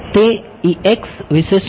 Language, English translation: Gujarati, What about the